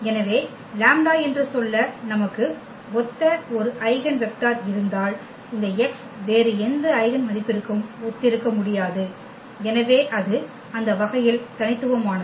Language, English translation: Tamil, So, if you have an eigenvector corresponding to let us say the lambda, then this x cannot correspond to any other eigenvalue, so it is a unique in that sense